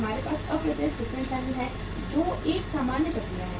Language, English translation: Hindi, We have the indirect distribution channels which is a normal process